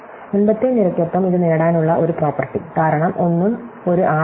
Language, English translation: Malayalam, Similarly, the one property to get this along the previous column, because nothing is an r